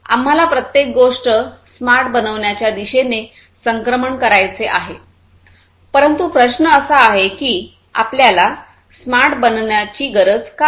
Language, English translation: Marathi, We want to transition towards making everything smart by, but the question is that why at all we need to make smart